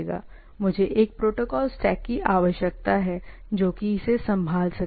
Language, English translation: Hindi, I require some sort of a protocol stack to handle that, right